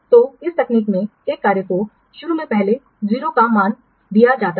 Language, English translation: Hindi, So, in this technique, a tax is assigned a value of 0 first initially